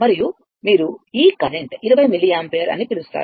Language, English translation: Telugu, And you are what you call this this current 20 milliampere